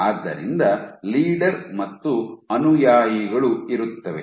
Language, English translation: Kannada, So, you have leaders and followers